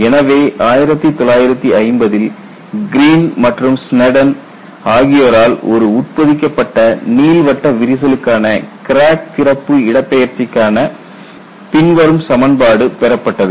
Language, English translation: Tamil, So, you find the Green and Sneddon in 1950 obtained the crack opening displacement for an embedded elliptical crack